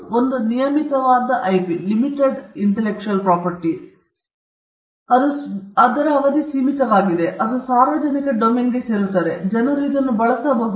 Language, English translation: Kannada, You have the limited life IP, where the duration is limited, after which it falls into the public domain and people can use it